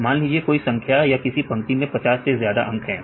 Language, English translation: Hindi, Any number contains, any line contains the numbers more than 50 right